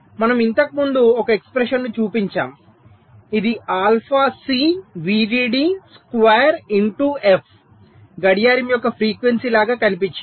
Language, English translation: Telugu, so we showed an expression earlier which looked like alpha c, v dd square into f, frequency of clock